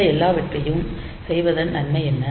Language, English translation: Tamil, So, what is the advantage of doing all this things